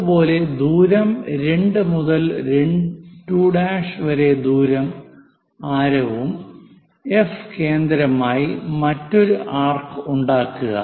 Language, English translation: Malayalam, Similarly, as distance 2 to 2 prime and F as that make an arc